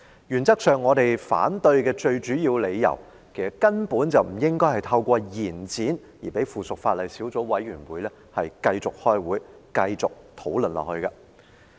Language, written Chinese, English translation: Cantonese, 原則上，我們反對的最主要理由，就是其實根本不應透過延展而讓附屬法例小組委員會繼續開會和討論下去。, In principle our main reason for opposing the resolution is that the subcommittee on the relevant subsidiary legislation should not be allowed to keep on convening meetings and holding discussion by way of extending the period for amendment